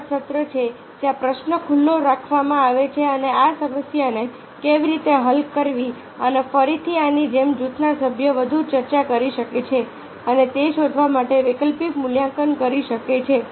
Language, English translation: Gujarati, similarly, how to sessions is there where the question is kept open and how to sort out this problem and again like this, the group members can further discuss and evaluate the alternative to find out once the idea are the generated, how to